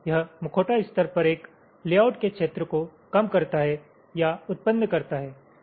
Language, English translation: Hindi, it generates or it reduces the area of a layout at the mask level